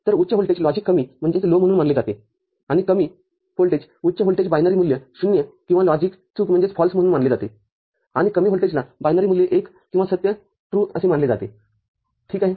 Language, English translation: Marathi, So, a high voltage is treated as logic low, and a low voltage high voltage is treated as binary value 0 or logic FALSE and low voltage is treated as binary value 1 or TRUE ok